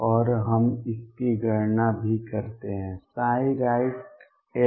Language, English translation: Hindi, And we also calculate it psi right x